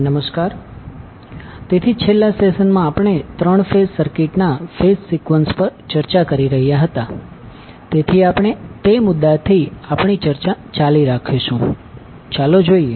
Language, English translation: Gujarati, Namaskar, so in the last session we were discussing about the phase sequence of three phase circuit, so we will continue our discussion from that point onwards and let us see